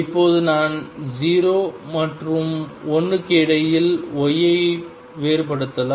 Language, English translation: Tamil, Now I can vary y between 0 and 1